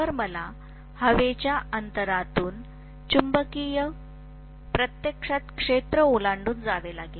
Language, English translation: Marathi, So I am going to have to actually pass the magnetic field lines through the air gap